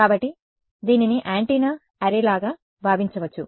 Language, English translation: Telugu, So, this can be thought of as a like an an antenna array